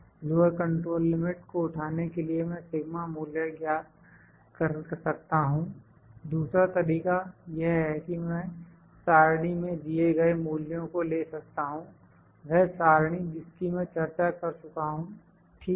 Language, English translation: Hindi, To pick the lower control limit I can calculate the sigma value, another way is I can use the values given in the table, the table that I discussed, in this table, ok